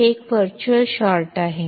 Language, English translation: Kannada, So, there is a virtual short